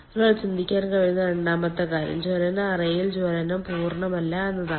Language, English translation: Malayalam, the second one which one can think of is that that combustion is not complete in the combustion chamber